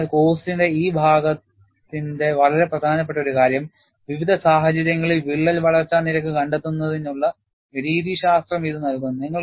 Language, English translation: Malayalam, So, one of the very important aspect of this part of the course is, it provides you methodology to find out the crack growth rate for variety of situations